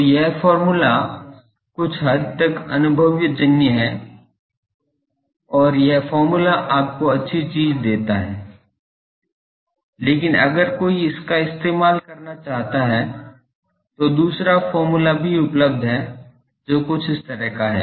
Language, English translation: Hindi, So, that formula is somewhat empirical and this formula gives you good thing, but just in case someone wants to use it another formula is available that gives something like this